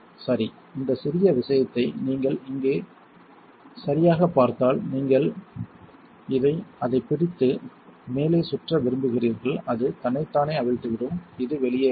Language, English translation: Tamil, Well if you see underneath here this little thing right, here you want to grab on to it and spin the top it will unscrew itself and this comes out